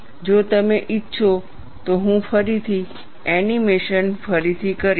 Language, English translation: Gujarati, If you want, I will again do redo the animation